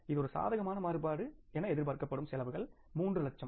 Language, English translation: Tamil, If there is a negative variance, for example, now the cost estimated was 3 lakhs